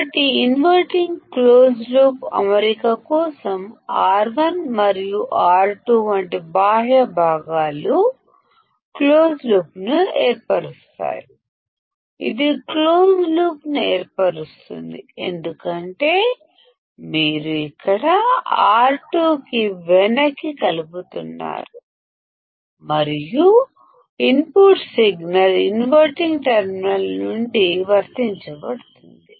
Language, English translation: Telugu, So, for the inverting close loop configuration, external components such as R1 and R2 form a close loop; This forms a closed loop because you are feeding Rc here and the input signal is applied from the inverting terminal